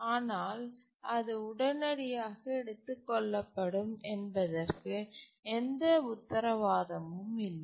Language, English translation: Tamil, But then there is no guarantee that it will immediately be taken up